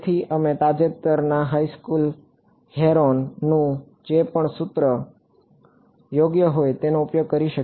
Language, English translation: Gujarati, So, we can use whatever recent high school Heron’s formula whatever it is right